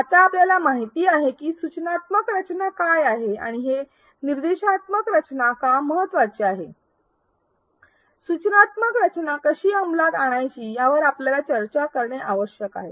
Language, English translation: Marathi, Now that we know what is instructional design and why instructional design is important we need to discuss on how to implement instructional design